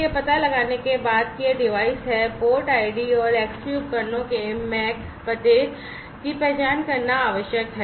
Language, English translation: Hindi, So, after discovering that this devices, it is required to identify the port id and the MAC address of the Xbee devices